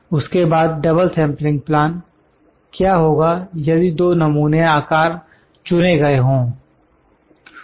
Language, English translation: Hindi, Then double sampling plan, what happens two sample sizes are selected